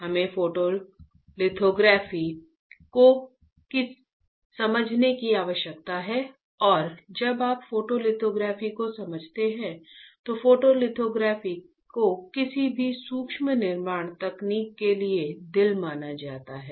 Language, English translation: Hindi, We require to understand Photolithography and when you understand photolithography, photolithography is considered as a heart for any micro fabrication technique